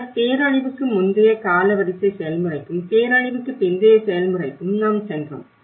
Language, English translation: Tamil, Then we moved on with the timeline process of pre disaster to the post disaster process